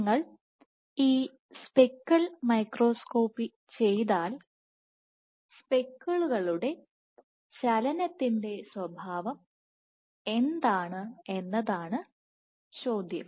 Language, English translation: Malayalam, So, if you do now the question is if you do this speckle microscopy what is the nature of the movement of the speckles